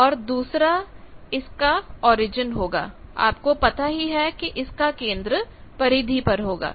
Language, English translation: Hindi, The other is origin the center, so you know center you know periphery